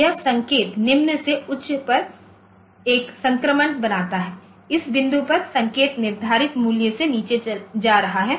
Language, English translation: Hindi, So, this signal makes a transition from low to high, at this point the signal is going below the set value